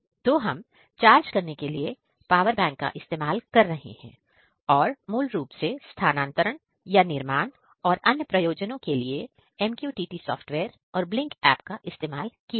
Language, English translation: Hindi, So, basically we are powering through our a power bank and to basically transfer or to build and for other purposes, we are using MQTT softwares and Blynk app